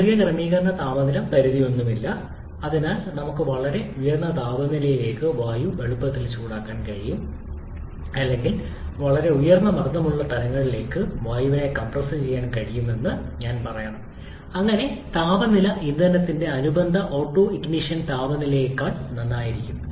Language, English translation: Malayalam, There is no autoignition temperature limit, so we can easily heat air to very high temperature or I should say we can compress air to very high pressure levels, so that the temperature can be well above the temperature of the corresponding autoignition temperature of the fuel